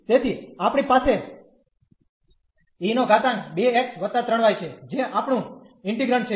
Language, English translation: Gujarati, So, we have here e power 2 x and then e power 3 y that is our integrant